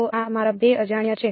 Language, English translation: Gujarati, So, these are my 2 unknowns